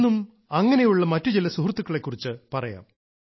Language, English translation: Malayalam, Today also, we'll talk about some of these friends